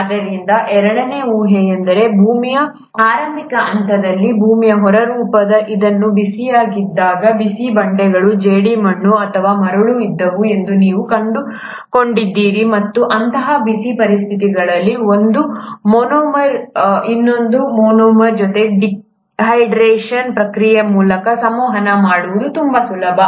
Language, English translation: Kannada, So the second hypothesis is that during the early phase of earth, when the earth’s crust was still very hot, you find that there were hot rocks, clay or sand, and under such hot conditions, it was very easy for one monomer to interact with another monomer, through the process of dehydration